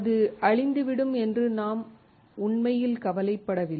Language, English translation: Tamil, We do not really worry that it will get destroyed